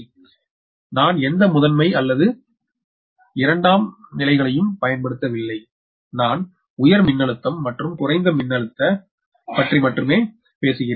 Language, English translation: Tamil, look, i am not using any primary or secondary, i am only talking about the high voltage and low voltage right